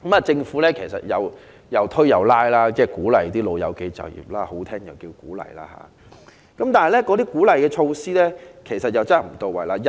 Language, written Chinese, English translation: Cantonese, 政府半推半拉地鼓勵長者就業——說得好聽就是"鼓勵"——但鼓勵措施卻不到位。, While the Government encourages elderly employment in quite a forceful way―encourage is a nice way of putting it―its measures are ineffective